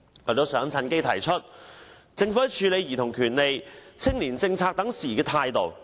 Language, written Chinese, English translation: Cantonese, 我亦想趁機提出政府處理兒童權利和青年政策等事宜的態度。, I would also like to take this opportunity to mention the Governments attitude towards childrens rights and youth policy